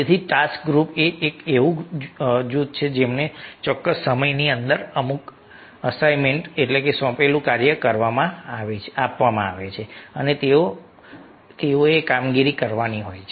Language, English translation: Gujarati, so task group is a group were given some assignment within a given time and they have to perform